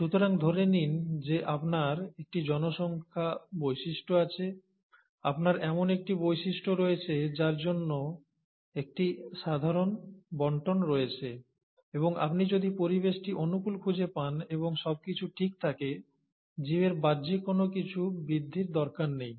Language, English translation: Bengali, So, assume that you do have a population trait, you have a trait for which there is a normal distribution and you find that if the environment is conducive and the conditions are fine, there’s no need for the outer extreme of the organisms to grow